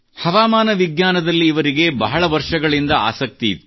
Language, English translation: Kannada, For years he had interest in meteorology